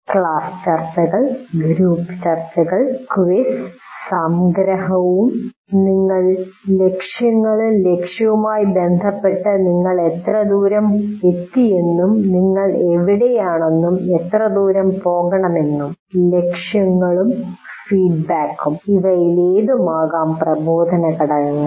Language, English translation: Malayalam, It can be class discussions, group discussions, there can be a quiz, summarization, and you also state the goals and how far you have come with respect to the goal and where you are and how far to go, this kind of goals and feedback is also one of the instructional components that can be used